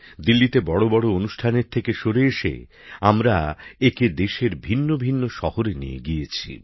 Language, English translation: Bengali, Moving away from the tradition of holding big events in Delhi, we took them to different cities of the country